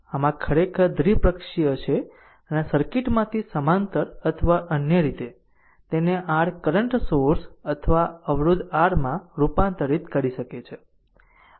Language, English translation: Gujarati, So, this is actually bilateral I mean either from this circuit you can convert it to your current source or resistance R in parallel or in other way